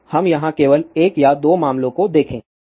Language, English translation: Hindi, So, let us just look at 1 or 2 cases here